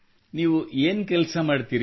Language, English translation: Kannada, And what do you do